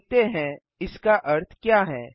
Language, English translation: Hindi, Let us see what this means